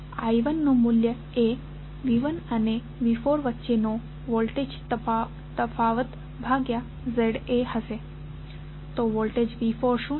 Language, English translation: Gujarati, I 1 value would be the voltage difference between V 1 and V 4 divided by Z A, so what is the voltage of V 4